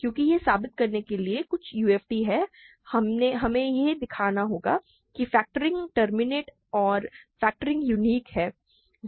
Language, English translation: Hindi, Because to prove that something is a UFD, we need to show that factoring terminates and factoring is unique